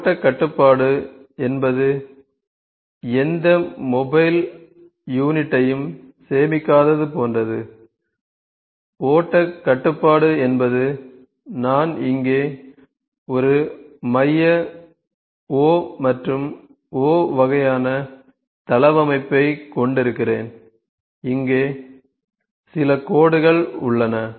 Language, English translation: Tamil, So, flow control is like it does not store any mobile unit flow control is for instance I am having a central O here and O kind of layout and there certain lines here ok